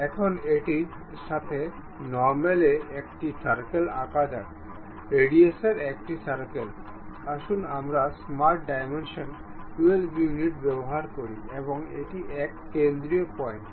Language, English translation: Bengali, Now, normal to that let us draw circles, a circle of radius; let us use smart dimension 12 units and this one center point to this one